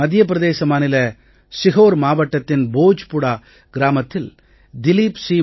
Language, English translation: Tamil, Dileep Singh Malviya is an elderly artisan from Bhojpura village in Sehore district of Madhya Pradesh